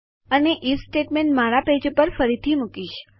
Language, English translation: Gujarati, And Ill put my if statement back into my page